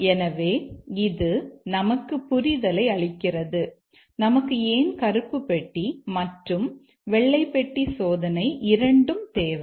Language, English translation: Tamil, So, that gives us the justification why we need both black box and white box testing